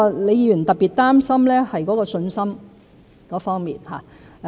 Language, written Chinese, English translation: Cantonese, 李議員特別擔心的是信心方面。, Ms LEE is particularly concerned about confidence